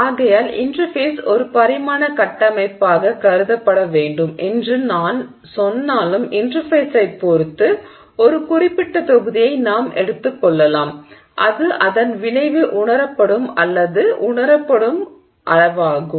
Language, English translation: Tamil, And therefore even though as I said the interface should ideally be thought of as a two dimensional structure, we can assume a certain volume with respect to the interface which is the volume over which its effect is perceived or no felt